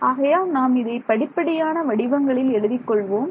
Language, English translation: Tamil, So, let us write it in stepwise form